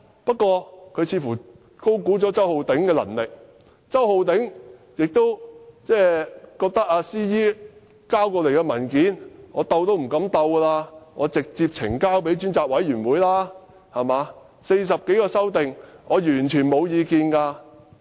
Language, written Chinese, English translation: Cantonese, 不過，他似乎高估了周浩鼎議員的能力，又或許周浩鼎議員覺得 ，CE 交來的文件連碰都不敢碰，便直接呈交專責委員會，他對於40多項修訂完全沒有意見。, But seemingly he has overestimated Mr CHOWs ability . Or Mr CHOW might not even dare to open the document from the Chief Executive and submitted it to the Select Committee right away as he had no comments about the 40 - odd amendments whatsoever